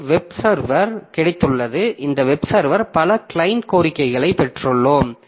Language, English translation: Tamil, And to this web server, so we have got several client requests that are coming